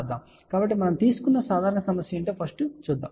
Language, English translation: Telugu, So, let us see what is the simple problem we have taken